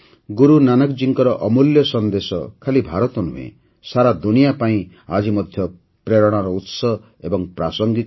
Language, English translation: Odia, Guru Nanak Ji's precious messages are inspiring and relevant even today, not only for India but for the whole world